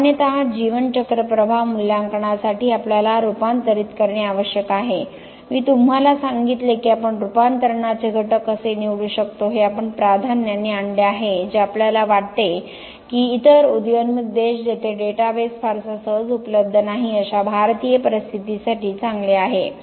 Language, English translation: Marathi, Generally, for the life cycle impact assessment we need to convert I told you how we can choose the conversion factors we have come up with this priority that we feel is good for Indian conditions another emerging countries where database is not very readily available